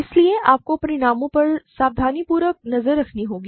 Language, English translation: Hindi, So, you have to keep track of the results carefully